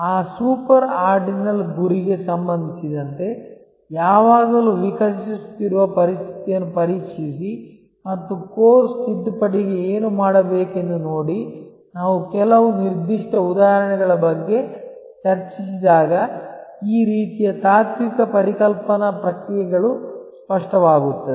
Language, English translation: Kannada, Always test the evolving situation with respect to that super ordinal goal and see what needs to be done to course correction, when we discuss about certain specify examples these sort of philosophical a conceptual processes will become clear